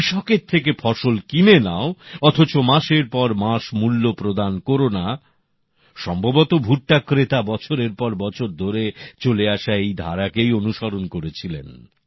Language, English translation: Bengali, Buy the crop from the farmer, keep the payment pending for months on end ; probably this was the long standing tradition that the buyers of corn were following